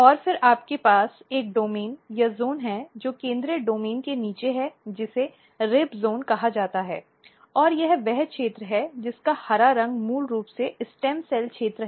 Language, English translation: Hindi, And then you have a domain or zone which is below the central domain which is called rib zone and this is the region the green color is basically stem cell region